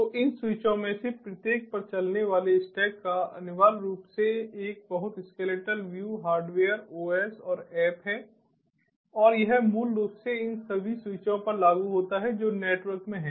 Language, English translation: Hindi, so essentially, a very skeletal view of the stack that is run on each of these switches is hardware, os and app, and that is basically applicable to all these switches that are there in the network